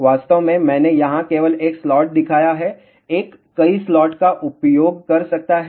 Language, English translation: Hindi, In fact, I have just shown 1 slot over here, one can use multiple slots